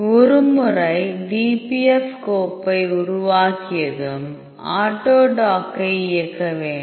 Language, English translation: Tamil, Once you once you created the dpf file, you have to run the autodcok